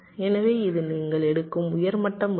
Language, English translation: Tamil, so this is a high level decision you are taking